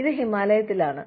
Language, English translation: Malayalam, It is up in the Himalayas